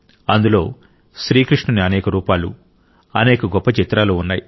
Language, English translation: Telugu, In this there were many forms and many magnificent pictures of Bhagwan Shri Krishna